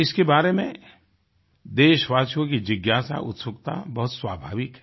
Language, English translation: Hindi, It is natural for our countrymen to be curious about it